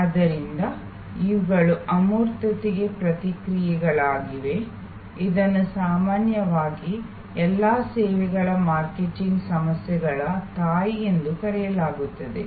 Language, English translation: Kannada, So, these are responses to intangibility which are often called the mother of all services marketing problems